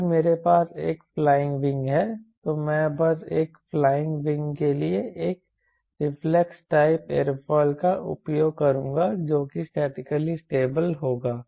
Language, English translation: Hindi, if i have flying a flying wing, i will simply use a what you call reflex type aerofoil for a flying wing, which will be statically stable